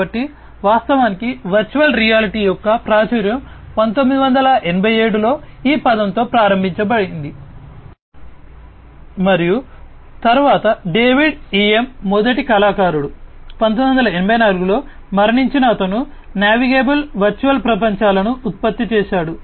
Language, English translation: Telugu, So, actually the virtual reality the popularity of virtual reality started with this term in 1987, the virtual reality term started in the 1987 and then David EM was the first artist, you know, who died in 1984, he produced the navigable virtual worlds